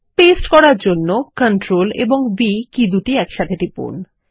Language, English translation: Bengali, To paste, press CTRL and V keys together